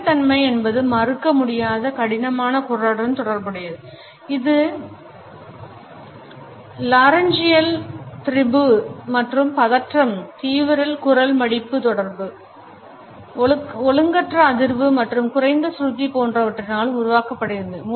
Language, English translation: Tamil, Harshness is related with a disagreeable rough voice it is caused by laryngeal strain and tension, extreme vocal fold contact, irregular vibration and low pitch